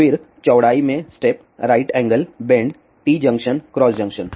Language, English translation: Hindi, Then step in width, right angle bend, T junction, cross junction